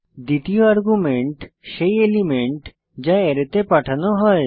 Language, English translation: Bengali, 2nd argument is the element which is to be pushed into the Array